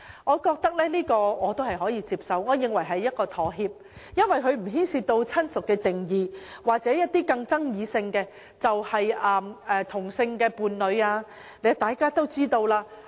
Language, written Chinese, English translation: Cantonese, 我認為這項修訂可取，可視為一種妥協，無須牽涉親屬的定義或更具爭議性的同性伴侶定義。, I consider this amendment desirable as it can be regarded as a form of compromise which makes it unnecessary to involve the definition of kinship or the even more controversial definition of same - sex spouse